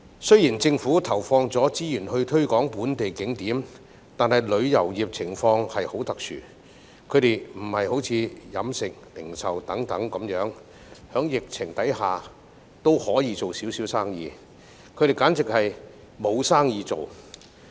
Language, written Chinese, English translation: Cantonese, 雖然政府投放資源推廣本地景點，但旅遊業情況特殊，有別於飲食、零售等行業，在疫情下仍有小量生意，旅遊業簡直沒有生意。, Even though the Government has invested resources to promote local attractions the situation of the tourism industry is special . Unlike industries such as the catering and retail industries which still have scant business during the epidemic the tourism industry simply has no business at all